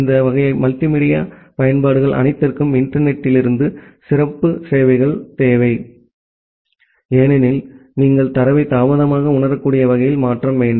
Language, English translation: Tamil, And all this type of multimedia applications, they require special services from the internet, because you need to transfer the data in a delay sensitive way